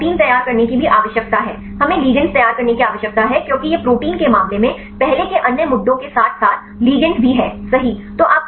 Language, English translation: Hindi, So, you need to prepare the protein also we need to prepare the ligands right because it earlier lot of other issues in the case of proteins as well as the ligands right